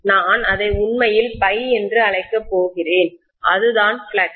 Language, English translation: Tamil, And I am going to call that as actually phi, that is the flux